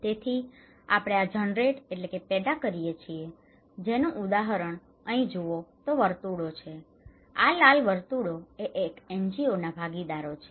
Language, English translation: Gujarati, So, if you; then we generate this; here is an example of this one, if you look into here, the circles are the; this red circles are the NGO partners